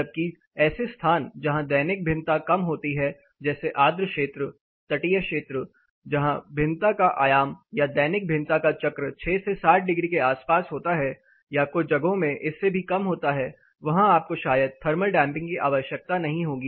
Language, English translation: Hindi, Whereas, places where you have less diurnal variations like humid areas coastal areas where the amplitude of variation diurnal cycle variation about say 6 to 7 degrees or some cases lesser than that, where you will need or you will may not need much of thermal damping they may not be use to you